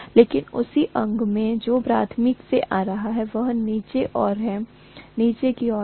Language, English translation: Hindi, But what is coming from the primary is downward, in the same limb